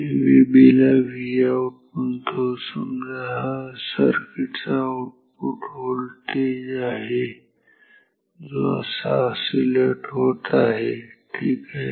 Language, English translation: Marathi, Let me just call this V b as V out let this be the output voltage of the circuit which is also oscillating